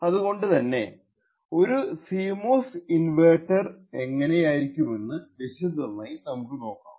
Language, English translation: Malayalam, So, we will see little more detail about what a CMOS inverter looks like